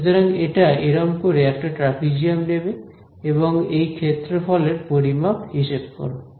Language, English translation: Bengali, So, it is going to take a trapezium like this and estimate the area as this quantity over here ok